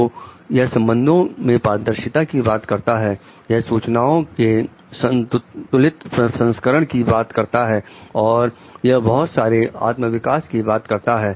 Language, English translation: Hindi, So, it talks of a relational transparency, talks are for like balanced processing of information and it helps in lot of self development